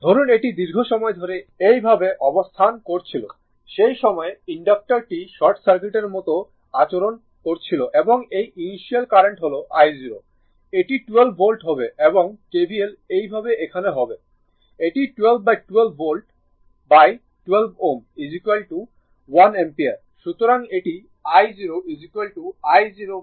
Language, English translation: Bengali, Suppose this one it was positioned like this for a long time, at that time inductor is behaving like a short circuit right and current through this that initial current that is i 0, it will be 12 volt and if you apply KVL here if you apply KVL here like this, it will be 12 by 12 volt by 12 ohm is equal to 1 ampere right